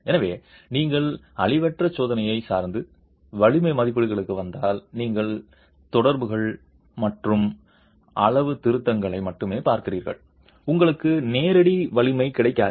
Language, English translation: Tamil, So, if you were to depend on non destructive testing and arrive at strength estimates, you are really looking at correlations and calibrations and you will not get a direct strength